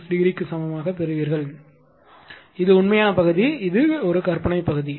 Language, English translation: Tamil, 36 degree and this is your in what you call your real part and this is the imaginary part of this one right